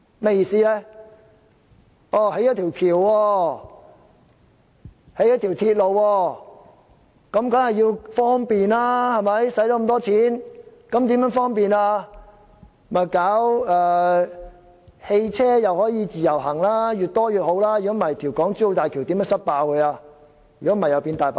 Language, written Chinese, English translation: Cantonese, 花了這麼多錢興建一條橋、一條鐵路，當然是要方便，於是便推行汽車的"自由行"，越多越好，否則如何能"塞爆"港珠澳大橋，以免成為"大白象"？, When so much money has been spent on constructing a bridge or a railway it is of course for conveniences sake and so there is the self - drive tour scheme for private cars . The more cars coming to Hong Kong the better or else how can the Hong Kong - Zhuhai - Macao Bridge become crammed - full of vehicles in order not to be branded a white elephant project?